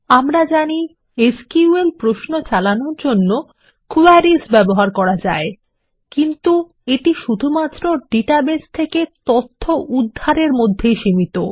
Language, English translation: Bengali, Now, we can also use Queries to execute SQL queries, but there we are limited to only asking for data from the database